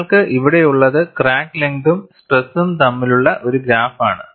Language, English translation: Malayalam, And what you have here is a graph between crack length and stress